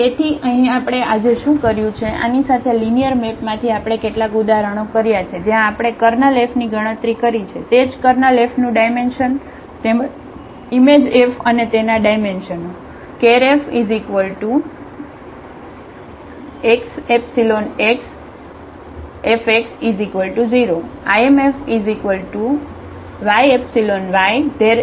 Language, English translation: Gujarati, So, here what we have done today, with this from the linear map we have done some examples where we have computed the Kernel F also the dimension of the Kernel F as well as the image F and its dimension